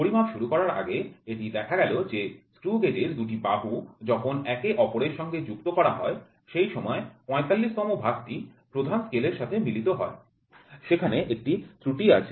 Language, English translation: Bengali, Before starting the measurement it was found that when the two jaws of the screw gauge are brought in contact the 45th division coincides with the main scale line there is an error